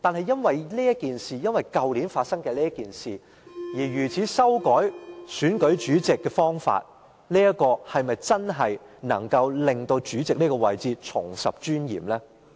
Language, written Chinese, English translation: Cantonese, 因為去年發生的事情而修改選舉主席的方法，是否真的能令主席這個位置重拾尊嚴？, They now propose to revise the election method of the President in the light of the incidents that happened last year . But can this amendment effectively restore the dignity of the President?